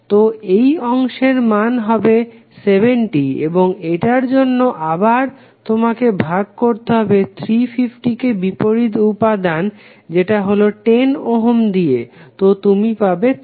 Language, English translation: Bengali, So this segment value would be 70 and for this again you have to simply divide 350 by opposite element that is 10 ohm, so you will get 35